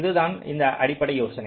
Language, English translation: Tamil, ok, that is the basic idea